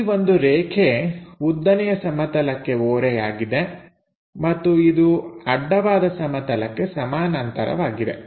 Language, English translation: Kannada, Line supposed to be inclined to vertical plane and parallel to horizontal plane